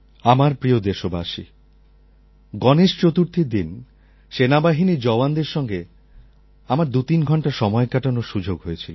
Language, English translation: Bengali, My dear countrymen, on the day of Ganesh Chaturthi, I had the privilege of spending 23 hours with the jawans of the armed forces